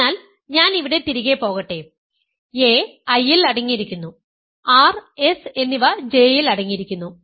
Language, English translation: Malayalam, So, let me go back here a is contained in I and r is and s is contained in J, so as is contained in I J